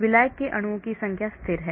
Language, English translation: Hindi, The number of solvent molecules are constant